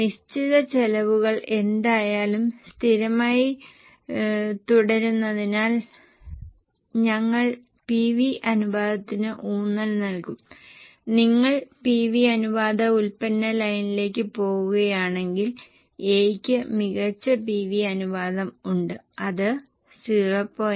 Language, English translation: Malayalam, Since fixed costs are anyway going to remain constant, we will emphasize on PV ratio and if you look at the PV ratio, product line A has a better PV ratio, which is 0